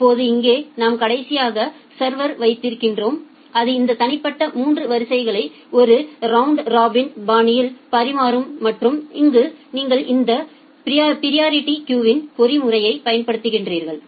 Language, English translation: Tamil, Now here you have the server that we will finally, serve this individual 3 queues in a round robin fashion and there you apply this priority queuing mechanism